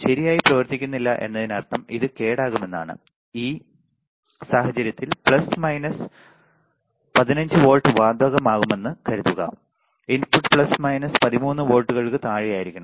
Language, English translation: Malayalam, Does not function properly means it will get damaged, in this case assuming plus minus 15 volts apply the input should stay below plus minus 13 volts right